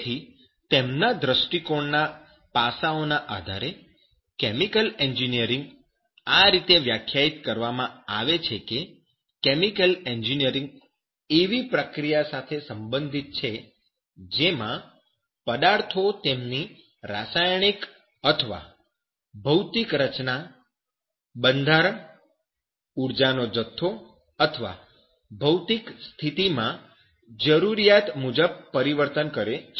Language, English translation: Gujarati, So based on the aspects of their view the chemical engineering is defined as it is concerned with the process that causes substances to undergo required changes in their chemical or physical composition, structure, energy content, or physical state there